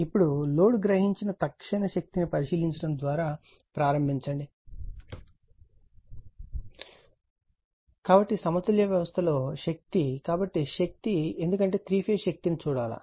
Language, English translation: Telugu, Now, we begin by examining the instantaneous power absorbed by the load right, so power in a balanced system so power, because we have to see the three phase power also